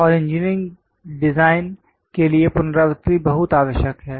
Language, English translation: Hindi, And repetition is very much required for the engineering design